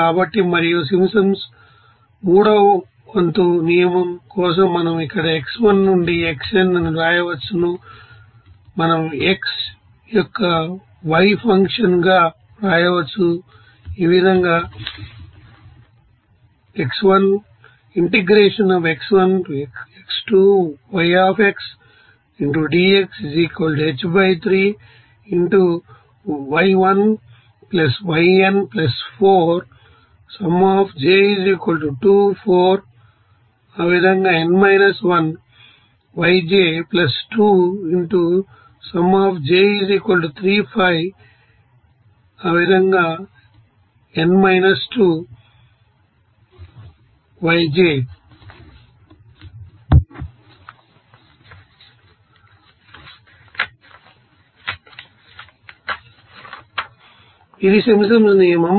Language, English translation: Telugu, So, and for Simpsons one third rule we can write here x1 to here xn we can write y as a function of x that will be is equal to So, this is you know Simpsons rule